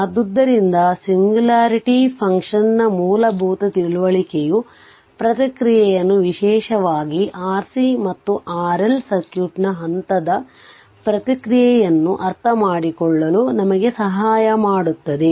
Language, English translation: Kannada, So, a basic understanding of the singularity function will help us to make sense of the response specially the step response of RC or RL circuit right